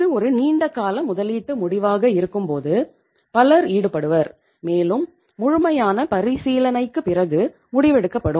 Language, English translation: Tamil, When itís a long term investment decision many people are involved and we take the decision after thorough consideration